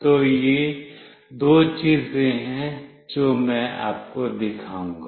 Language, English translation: Hindi, So, these are the two things that I will be showing you